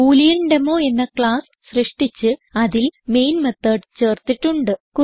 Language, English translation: Malayalam, I have created a class BooleanDemo and added the Main method